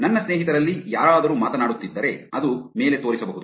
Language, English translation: Kannada, If any of my friends are talking, it could show up on top